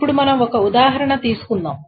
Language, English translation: Telugu, So here is an example that we will do